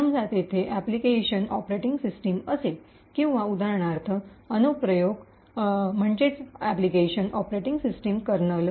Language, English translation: Marathi, Let us say the application here would be the operating system and say for example the application here for example could be the Operating System Kernel